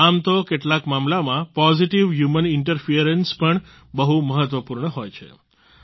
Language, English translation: Gujarati, However, in some cases, positive human interference is also very important